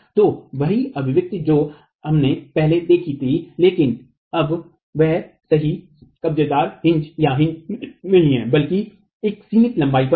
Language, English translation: Hindi, So, the same expression that we saw earlier, but now that's not a perfect hinge, but over a finite length